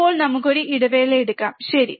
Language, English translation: Malayalam, For now, let us take a break, alright